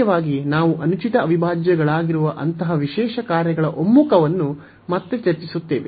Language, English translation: Kannada, So, mainly we will be discussing again the convergence of such a special functions which are improper integrals